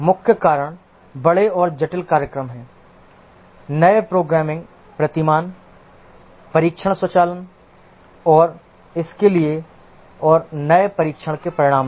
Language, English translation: Hindi, The main reasons are larger and more complex programs, newer programming paradigms, test automation and also new testing results